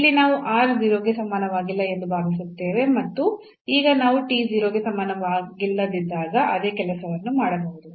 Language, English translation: Kannada, So, here we assume r is not equal to 0 and now, proceed so same thing we can do when t is not equal to 0